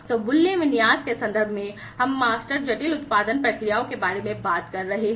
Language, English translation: Hindi, So, in terms of the value configuration, we are talking about master complex production processes